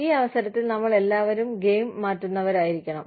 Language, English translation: Malayalam, We all need to be, game changers, at this point